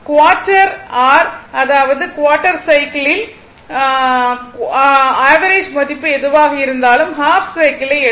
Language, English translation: Tamil, Even quarter your; that means, in quarter cycle whatever rms or average value you will get ah you take half cycle